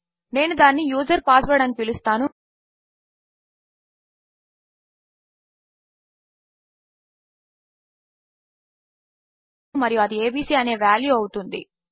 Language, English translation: Telugu, Ill call it user password and that will have the value abc